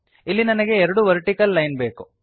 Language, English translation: Kannada, See there are two vertical lines